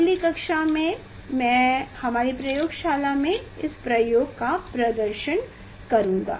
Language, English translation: Hindi, next I will demonstrate the experiment in our laboratory